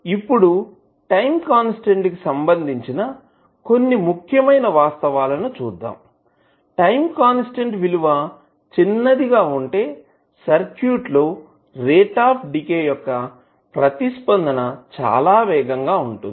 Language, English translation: Telugu, Now, let see some important facts about the time constant, smaller the time constant of the circuit faster would be rate of decay of the response